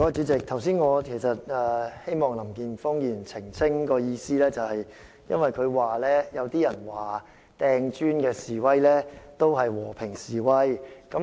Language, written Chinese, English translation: Cantonese, 主席，我剛才希望林健鋒議員澄清，是因為他聲稱有人認為擲磚頭的示威者是在進行和平示威。, President I asked Mr Jeffrey LAM to clarify just now because he claimed it was the view of some people that protesters who threw bricks were staging peaceful demonstrations